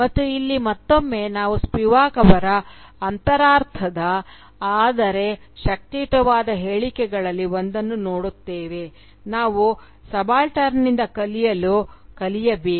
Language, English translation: Kannada, And, here again, we come across one of Spivak's cryptic but powerful statements, that we should "learn to learn from the subaltern